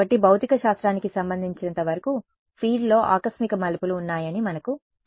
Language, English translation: Telugu, So, we know that that as far as physics is concerned there is an abrupt turns on the field